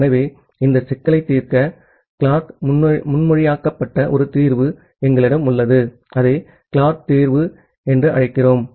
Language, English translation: Tamil, So, to solve this problem, we have a solution which is proposed by Clark, we call it as a Clark solution